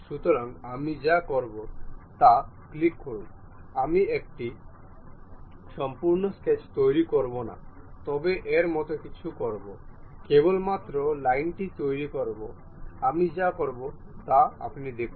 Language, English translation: Bengali, So, what I will do is click one, I would not construct a complete sketch, but something like a lines only we will construct see what will happen